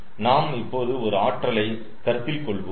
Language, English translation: Tamil, now we are considering one energy casted